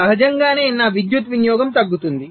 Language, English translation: Telugu, so naturally my power consumption will be reduced